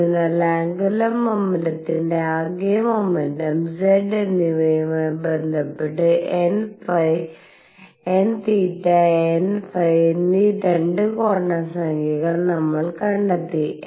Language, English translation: Malayalam, So, we have found 2 quantum numbers n theta and n phi related to the total momentum and z of angular momentum